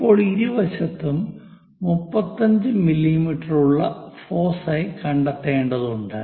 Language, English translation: Malayalam, Now, we have to locate foci which is at 35 mm on either side